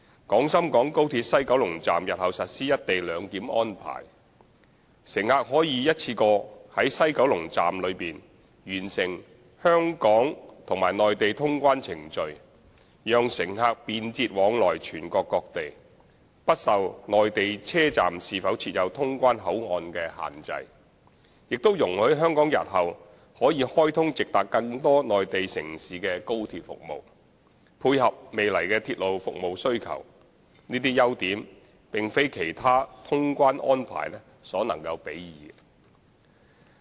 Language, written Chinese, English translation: Cantonese, 廣深港高鐵西九龍站日後實施"一地兩檢"安排，乘客可以一次過在西九龍站內完成香港和內地通關程序，讓乘客便捷往來全國各地，不受內地車站是否設有通關口岸所限制，也容許香港日後可開通直達更多內地城市的高鐵服務，配合未來的鐵路服務需求，這些優點並非其他通關安排所能比擬。, By implementing co - location arrangement at the West Kowloon Station WKS of XRL in future passengers can complete clearance procedures of both Hong Kong and the Mainland at WKS in one go . It will enable passengers to travel to and from different destinations across the country conveniently without being constrained by whether a particular Mainland station is equipped with clearance facilities and will also allow Hong Kong to provide direct high - speed rail service to an increasing number of Mainland cities in the days to come in order to cater for future demands for railway service . These advantages cannot be matched by other clearance options